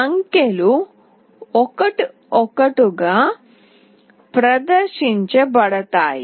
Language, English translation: Telugu, The digits are displayed one by one